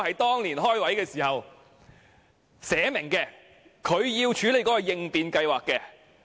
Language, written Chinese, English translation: Cantonese, 當年新增職位時寫明，他要處理應變計劃。, It was clearly written at the creation of the post that he would have to handle contingency plans